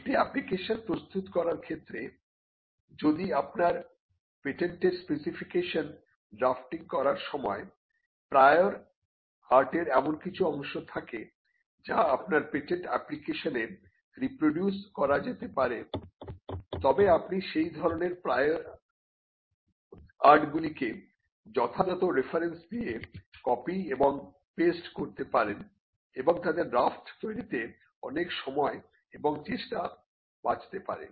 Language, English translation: Bengali, Now, in preparing an application, if there are portions of the prior art which could be reproduced into your patent application while drafting your patent specification, you could kind of copy and paste those prior art references with proper by giving the proper reference, and that could save quite a lot of time and effort in drafting